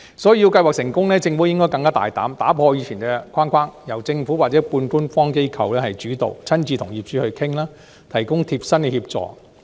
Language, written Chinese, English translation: Cantonese, 所以，要計劃取得成功，政府應該更大膽，打破以前的框架，由政府或半官方機構主導，親自與業主商討，提供貼身協助。, Hence for the initiative to succeed the Government must be bold enough to break away from past frameworks seizing the initiative by itself or by quasi - government organizations negotiating directly with owners and providing tailored assistance